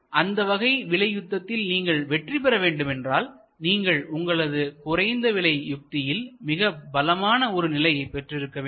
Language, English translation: Tamil, And if you want to win in the price war, you have to have a very strong handle on your low costs strategy